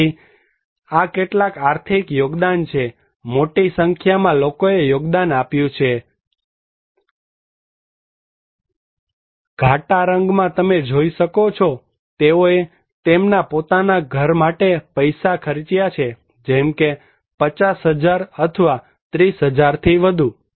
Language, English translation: Gujarati, So, these are some of the financial contributions from difference so, a great number of people contributed the dark one you can see that they spend money for their own house like 50,000 or more than 30,000 thousand